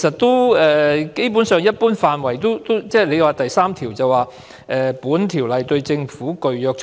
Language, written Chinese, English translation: Cantonese, 當局又表示，《種族歧視條例》第3條訂明"本條例對政府具約束力"。, The authorities also indicated that section 3 of RDO provided that This Ordinance binds the Government